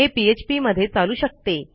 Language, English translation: Marathi, That is, because of the way PHP works